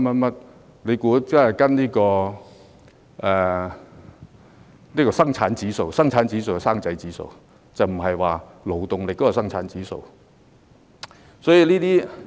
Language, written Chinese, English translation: Cantonese, 大家別以為是跟隨生產指數即"生仔指數"，而不是關於勞動力的生產指數。, Members should not think that the productivity index to be used as the basis is childbirth rate rather than the Labour Productivity Index